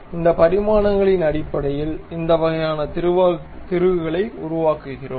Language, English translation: Tamil, So, based on those dimensions we are constructing this kind of bolt